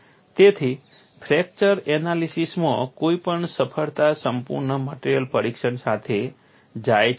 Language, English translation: Gujarati, So, any success in fracture analysis goes with exhaustive material testing